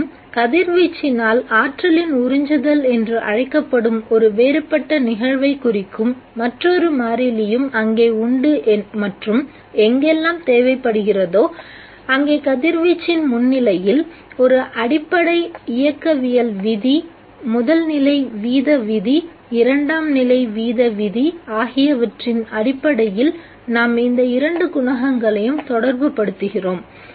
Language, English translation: Tamil, And also there is another constant which is referring to a different phenomenon namely the absorption of energy by radiation and we are relating these two coefficients based on an elementary kinetic law, first order rate law, second order rate law in the presence of the radiation wherever that is necessary